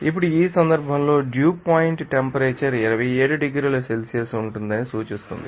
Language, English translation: Telugu, Now, in this case is implies that dew point temperature will be 27 degrees Celsius